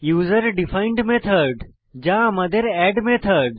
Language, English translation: Bengali, User defined method that is our add method